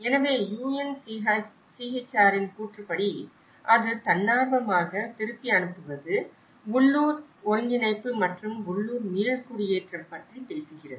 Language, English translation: Tamil, So, as per the UNHCR, it talks about the voluntary repatriation, the local integration and the local resettlement